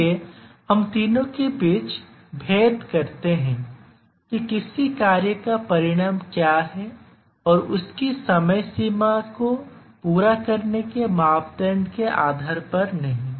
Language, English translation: Hindi, So, we distinguish between these three based on what is consequence of a task not meeting its deadline